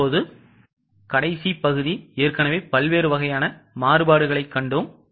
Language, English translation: Tamil, Now the last part, we have already seen different types of variances